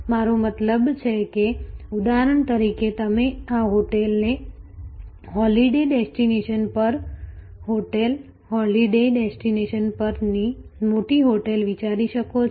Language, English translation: Gujarati, I mean like for example, you can think this a hotel at a holiday destination, a major hotel at holiday destination